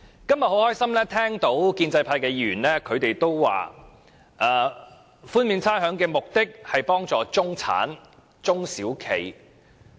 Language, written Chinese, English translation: Cantonese, 今天很高興聽到建制派議員表示寬免差餉的目的是為幫助中產人士及中小企。, Today I am glad to hear pro - establishment Members say that the purpose of rates concession is to help the middle class and small and medium enterprises SMEs